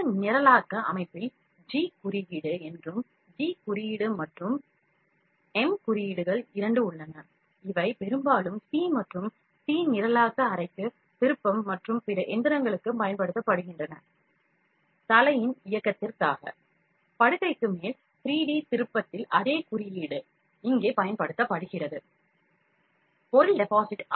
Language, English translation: Tamil, In this programming system is known as G code and, G code and M codes are both there, these are mostly used for C and C programming milling turning and other machinings same code is used here in 3D turning for the movement of the head, over the bed, for depositing the material